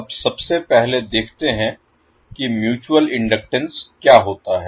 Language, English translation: Hindi, So now let us see first what is the mutual inductance